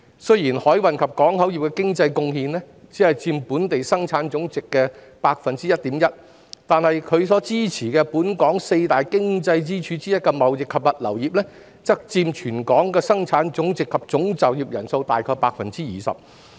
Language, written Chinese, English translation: Cantonese, 雖然海運及港口業的經濟貢獻只佔本地生產總值的 1.1%， 但其所支持的本港四大經濟支柱之一的貿易及物流業，則佔本地生產總值及總就業人數大概 20%。, Although the economic contribution of the maritime and port industry only accounts for 1.1 % of our gross domestic product GDP the trading and logistics industry it supports as one of the four key economic pillars of Hong Kong accounts for about 20 % of our GDP and total employment